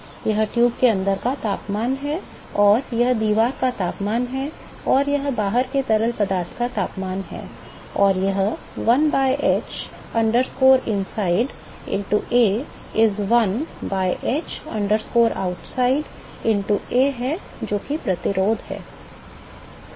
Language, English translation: Hindi, This is the temperature inside the tube, and this is the wall temperature and this is the temperature of the fluid outside, and this is 1 by h inside into A is 1 by h outside into A that is the resistance